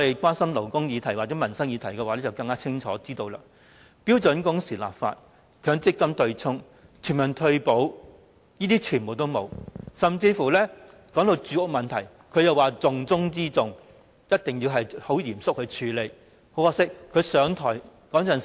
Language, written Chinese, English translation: Cantonese, 關心勞工議題和民生議題的人會清楚知道，標準工時立法、強積金對沖、全民退保，這些統統沒有做，甚至連當時被形容為重中之重，需要嚴肅處理的住屋問題也沒有改善。, People who are concerned about labour and livelihood issues will know clearly that he has not done anything whatsoever about legislating for standard working hours the offsetting arrangement under the Mandatory Provident Fund System and universal retirement protection . He has likewise failed to bring forth any improvement even in respect of housing―the top priority issue which he said must be seriously tackled at that time